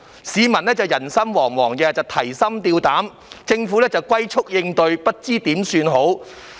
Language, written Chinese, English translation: Cantonese, 市民人心惶惶，提心吊膽，但政府則"龜速"應對，束手無策。, Members of the public are on tenterhooks and fears yet the Government is reacting at a snails pace unable to do anything about it